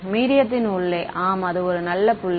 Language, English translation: Tamil, Inside the medium Inside the medium yes that is a good point right